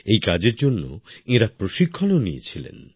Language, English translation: Bengali, They had also taken training for this